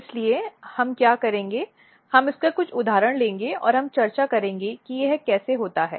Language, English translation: Hindi, So, what we will do we will take few of the example and we will try to discuss how this happens